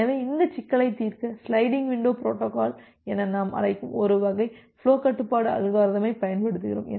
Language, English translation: Tamil, So, to solve this problem we use a class of flow control algorithms which we call as the sliding window protocol